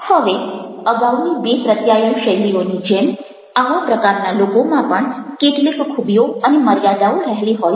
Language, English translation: Gujarati, now, like previous two communication styles, this these kind of people also have got some strengths as well as some weaknesses